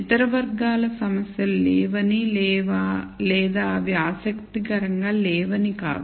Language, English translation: Telugu, This is not to say that other categories of problems do not exist or that they are not interesting